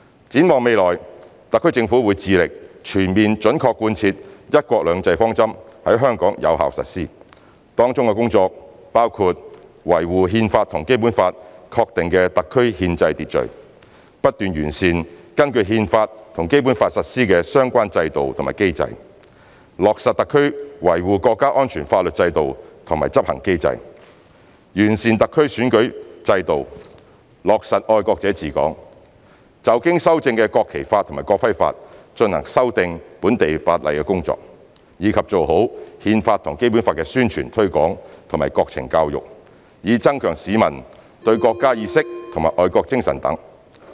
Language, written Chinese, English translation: Cantonese, 展望未來，特區政府會致力全面準確貫徹"一國兩制"方針在香港有效實施，當中工作包括維護《憲法》和《基本法》確定的特區憲制秩序，不斷完善根據《憲法》和《基本法》實施的相關制度和機制；落實特區維護國家安全法律制度和執行機制；完善特區選舉制度落實"愛國者治港"；就經修正的《國旗法》及《國徽法》進行修訂本地法例工作，以及做好《憲法》和《基本法》宣傳推廣及國情教育，以增強市民的國家意識和愛國精神等。, In future the HKSAR Government will endeavour to ensure the full accurate faithful and effective implementation of the one country two systems principle in Hong Kong . Such efforts will include safeguarding the constitutional order of HKSAR established by the Constitution and the Basic Law continuously improving the institutions and mechanisms relating to the implementation of the Constitution and the Basic Law implementing the legal system and enforcement mechanisms for HKSAR to safeguard national security improving the electoral system and ensuring patriots administering Hong Kong taking forward the local legislative amendment exercise to implement the amendments to the PRC Laws on the National Flag and National Emblem strengthening promotion of the Constitution and the Basic Law and national education with a view to enhancing the general publics awareness of the country and patriotism